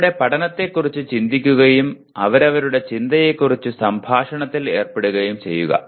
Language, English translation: Malayalam, Reflect on their learning and engage in conversation about their thinking